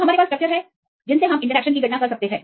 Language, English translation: Hindi, We have the structures we can calculate the interactions